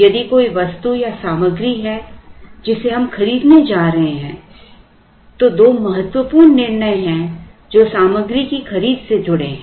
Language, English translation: Hindi, If there is an item or material that we are going to buy there are two important decisions that are associated with the purchase of the material